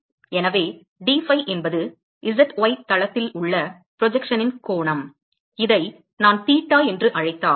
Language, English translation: Tamil, So dphi is the angle of the projection on the z y plane, and if I call this angle theta